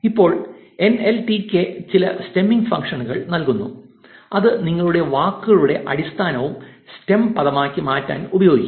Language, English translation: Malayalam, Now, NLTK provides some stemming functions which you can use to convert your words into the base stem word